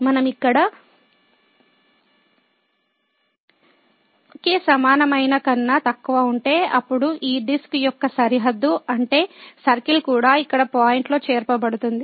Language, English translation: Telugu, If we include here less than equal to delta, then the boundary of this disc that means, the circle will be also included in the point here